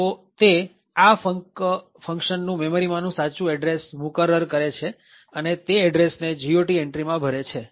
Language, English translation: Gujarati, So, what the resolver does is that it determines the actual address for this function func and fills that address in the GOT entry